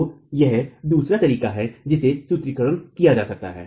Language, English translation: Hindi, So, this is the other way in which the formulation can be done